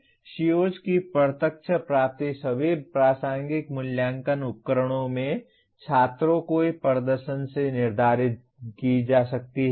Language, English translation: Hindi, Direct attainment of COs can be determined from the performances of students in all the relevant assessment instruments